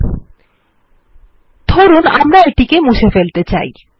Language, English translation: Bengali, Say we want to delete it